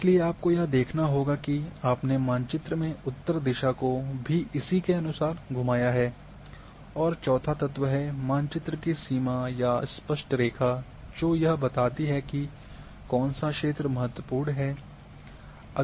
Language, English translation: Hindi, Therefore, you must see that your north is also rotated accordingly and the fourth one is the border or neat line also defines that this is the area of interest